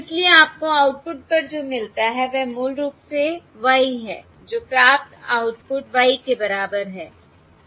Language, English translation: Hindi, Therefore, what you get at the output is basically the y, which is equal to y, the received output